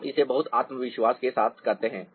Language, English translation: Hindi, you do it with a lot of confidence